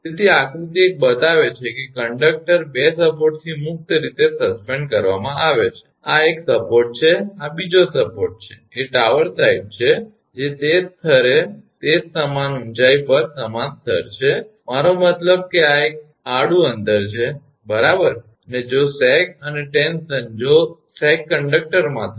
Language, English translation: Gujarati, So, figure one shows a conductor suspended freely from 2 support, this is one support this is another support a tower side right, which are at the same level that is same height same level, and I mean from this is a horizontal distance right, and if sag and tension if sag happens in conductor